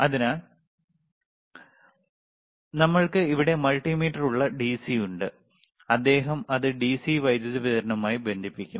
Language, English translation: Malayalam, So, we have the DC we have the multimeter here, and he will connect it to the DC power supply